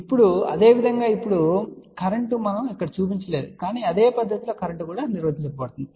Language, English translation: Telugu, Now, similarly now, the current we have not shown it over here, but current in the same fashion is defined